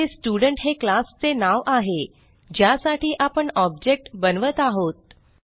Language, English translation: Marathi, Here, Student is the name of the class for which the object is to be created